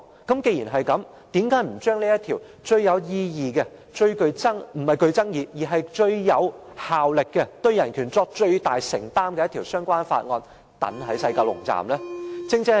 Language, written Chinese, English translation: Cantonese, 既然如此，為何不把這項最有意義、最具效力，以及對人權作最大承擔的相關條例放在西九龍站實施呢？, It is not a place where Hong Kong laws will be completely gone upon its cession . Such being the case why not put this most meaningful and effective BORO of the greatest commitment to human rights in force in WKS?